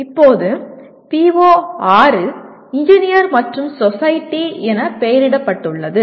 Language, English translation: Tamil, Now, PO6 is labeled as Engineer and Society